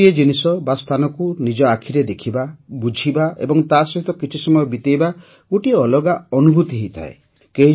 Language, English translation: Odia, Seeing things or places in person, understanding and living them for a few moments, offers a different experience